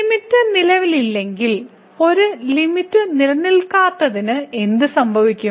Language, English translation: Malayalam, So, what will happen for the Non Existence of a Limit if the limit does not exist for